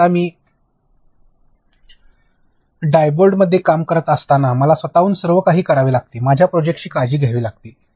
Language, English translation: Marathi, So, right now when I am working at Diebold I have to do everything on my own, take care of my project